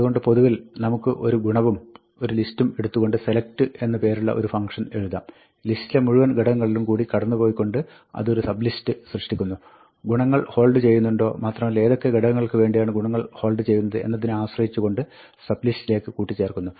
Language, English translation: Malayalam, So, in general, we could write a select function which takes the property and a list, and it creates a sub list by going through every element in the list, checking if the property holds, and for those elements which the property holds, appending it to the sub list